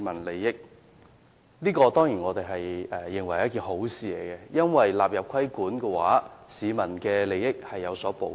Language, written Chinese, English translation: Cantonese, 我們當然認為這是好事，因為納入規管後，市民的利益獲得保障。, We certainly consider this a good arrangement for after these products are included in the scope of regulation the interests of the public are protected